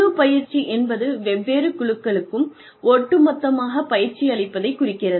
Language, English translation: Tamil, Team training is, training different teams, as a whole